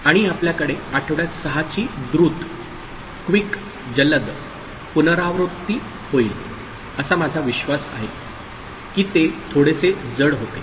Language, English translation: Marathi, And we shall have a quick recap of week 6, I believe it was little bit heavy